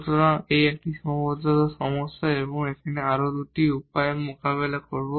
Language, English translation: Bengali, So, this is a problem of a constraint and now we will deal in two ways